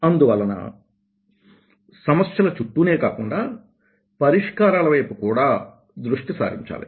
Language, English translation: Telugu, so it is not only focusing around the problem, one should also focus around the solution